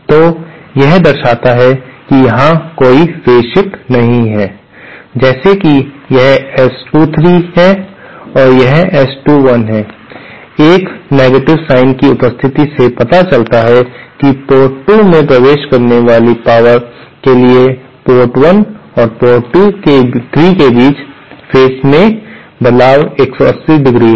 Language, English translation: Hindi, So, this shows that there is no phase shift between say, this is S 23 and this is S21, the presence of a negative sign shows that the phase shift between ports 1 and 3 for power entering port 2 is 180¡